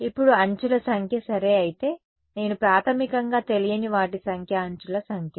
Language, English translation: Telugu, Now, if the number of edges ok so, I basically the number of unknowns is the number of edges